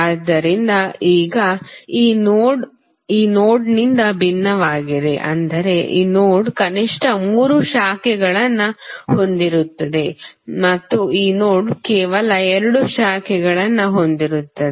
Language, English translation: Kannada, So, now this node is different from this node in the sense that this node contains at least three branches and this node contains only two branches